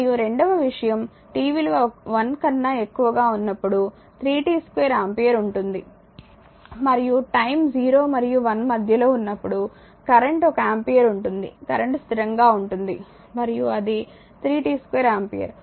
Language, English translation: Telugu, And second thing if it is 3 t square ampere for t greater than 1 and in when current time is in between 0 and 1, the current is one ampere that is current is constant and when for t greater than 1, it is 3 t square ampere say it is given